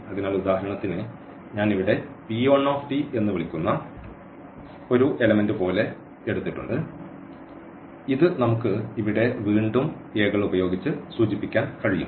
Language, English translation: Malayalam, So, for example, we have taken like one element here which I am calling p 1 t and which we can denote again here this with a’s